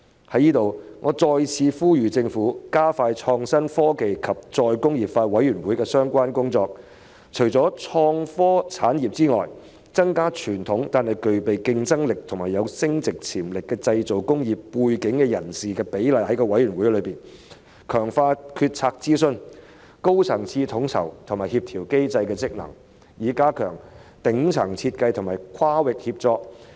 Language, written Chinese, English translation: Cantonese, 在此，我再次呼籲政府加快創新、科技及再工業化委員會的相關工作，除了創科產業外，亦要提高具備傳統但具競爭力及增值潛力的製造工業背景人士在委員會內的比例，強化決策諮詢、高層次統籌及協調機制的職能，以加強頂層設計和跨域協作。, I hereby urge the Government again to expedite the relevant work of the Committee on Innovation Technology and Re - industrialization . Apart from the innovation and technology industries it should also raise the representation of persons who have background in traditional manufacturing industries with a competitive edge and value - added potentials in the Committee and strengthen the functions of the policy - making consultation and high - level coordination mechanism so as to enhance the top - down design and cross - disciplinary collaboration